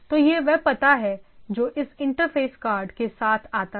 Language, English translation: Hindi, So that is address which is which comes along with this interface card right